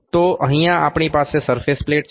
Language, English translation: Gujarati, So, here we have a surface plate